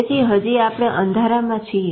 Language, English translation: Gujarati, So we are still cropping in dark